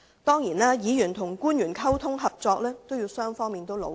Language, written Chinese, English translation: Cantonese, 當然，議員與官員的溝通和合作，要靠雙方努力。, Certainly communication and cooperation between Members and officials require the efforts of both parties